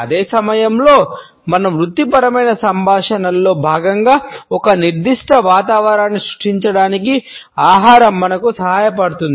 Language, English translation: Telugu, At the same time food helps us to create a particular ambiance as a part of our professional dialogues